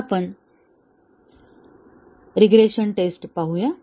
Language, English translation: Marathi, Now, let us look at regression testing